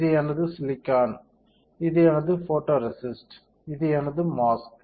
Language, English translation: Tamil, So, this is my silicon, this is my photoresist, and this is my mask